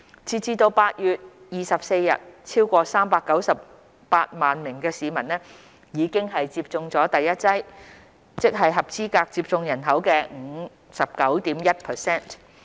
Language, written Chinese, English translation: Cantonese, 截至8月24日，超過398萬名市民已接種了第一劑疫苗，即合資格接種人口的 59.1%。, As at 24 August over 3.98 million people ie . 59.1 % of the local population eligible for COVID - 19 vaccination have received their first dose of vaccine